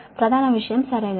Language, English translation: Telugu, this thing right